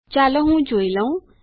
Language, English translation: Gujarati, Lets see what we get